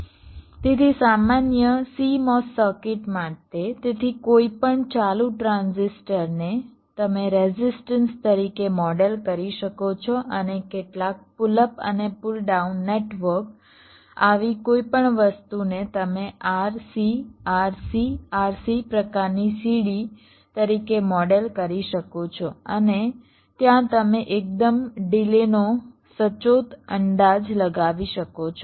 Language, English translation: Gujarati, so for a general simo circuit, so any on transistoric and model as a resistance and some pull up and pull down network, any such things, you can model as ah r, c, r, c, r c kind of a ladder and there you can make a quite accurate estimate of the dealing